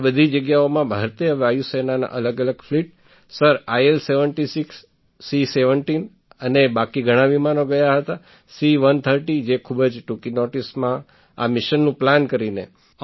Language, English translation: Gujarati, To all these places different fleets of the Indian Air Force sir, IL76 , C17 and other planes had gone… C130 which had gone by planning at very short notice